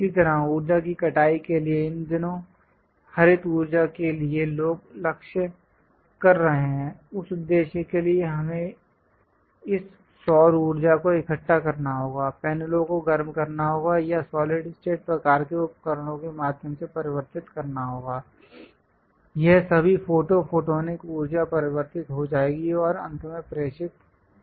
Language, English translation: Hindi, Similarly, for energy harvesting, these days green energy people are aiming for; for that purpose, we have to collect this solar power, heat the panels or converge through pressure electric kind of materials or perhaps through solid state kind of devices, all this photo photonic energy will be converted and finally transmitted